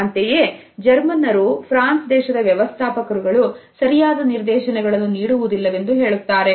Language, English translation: Kannada, While Germans can feel that the French managers do not provide any direction